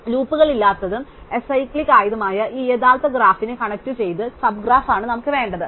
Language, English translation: Malayalam, So, what we want is a connected sub graph of this original graph which does not have any loops which is acyclic and this is precisely what is called a tree